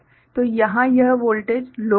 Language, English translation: Hindi, So, this voltage here will be low